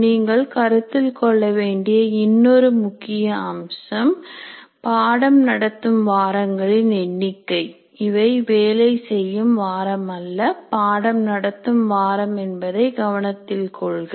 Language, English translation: Tamil, And another aspect that you need to keep in mind, the number of teaching weeks, mind you we are calling teaching weeks not working weeks